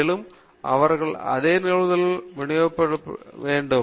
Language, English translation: Tamil, Further, they should also represent the same probability distribution